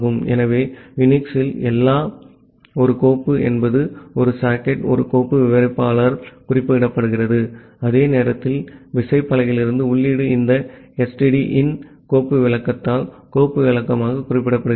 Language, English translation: Tamil, So in UNIX, everything is a file a socket is represented by a file descriptor and at the same time the input from the keyboard that is also represented as an file descriptor by this STDIN file descriptor